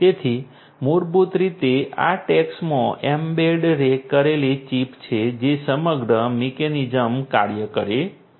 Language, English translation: Gujarati, So, basically it’s the chip that is embedded in these tags that makes the entire you know entire mechanism function